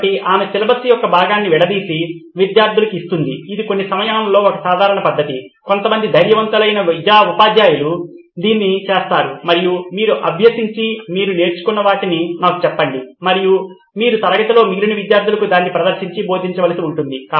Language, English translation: Telugu, So she cuts up the portion of the syllabus and gives it to the students this is a common practice in some subjects some brave teachers do this and says you guys prepare and tell me what you have learnt and you will have to present and teach the other people in the class